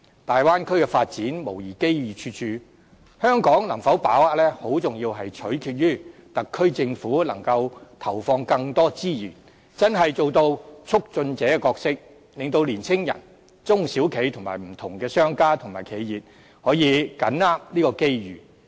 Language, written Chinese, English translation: Cantonese, 大灣區的發展無疑機遇處處，香港能否把握，很重要取決於特區政府能投放更多資源，真正做到促進者的角色，令年青人、中小企和不同的商家、企業可以緊握這些機遇。, It is beyond doubt that there are abundant development opportunities in the Bay Area but whether Hong Kong can grasp the opportunities will very much depend on the Governments determination to inject more resources and seriously play the role of a facilitator so that young people SMEs different business operators and enterprises can grasp these opportunities